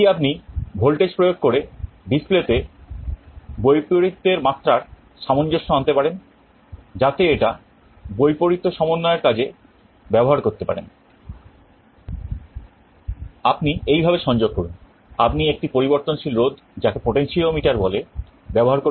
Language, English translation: Bengali, The way you connect is like this, you use a variable resistance called a potentiometer